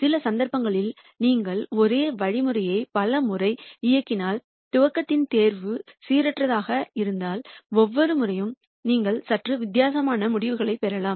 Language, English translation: Tamil, That is the reason why in some cases if you run the same algorithm many times and if the choice of the initialization is randomized, every time you might get slightly different results